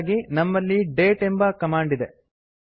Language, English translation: Kannada, For this we have the date command